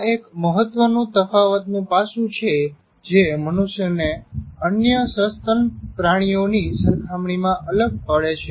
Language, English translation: Gujarati, That is the most important differentiating aspect of humans compared to other mammals